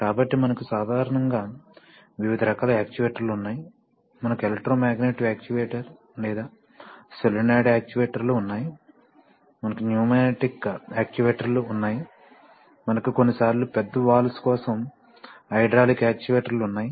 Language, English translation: Telugu, So we typically, we have various kinds of actuators, we have electromagnetic actuator or solenoid actuators, we have pneumatic actuators, we have sometimes for large valves you have hydraulic actuators right